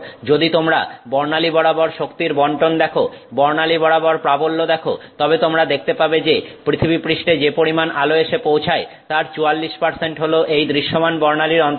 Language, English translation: Bengali, If you see the distribution of you know energy across the spectrum the intensity across the spectrum then you will find that if you look at light that arrives on the surface of the earth, 44% of it is in the visible spectrum